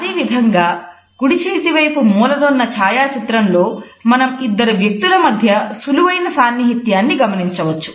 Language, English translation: Telugu, Similarly on the right hand side corner photograph, we can look at the ease and the distance which has been maintained by these two people